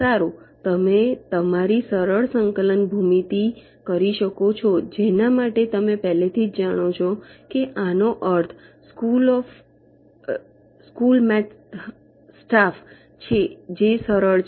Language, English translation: Gujarati, well, you can you simple coordinate geometry, for that you already know this is means school math staff